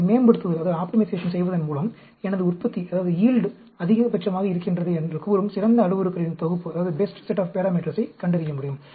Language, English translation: Tamil, By doing an optimization, we can find out the best set of parameters at which, say my yield is maximum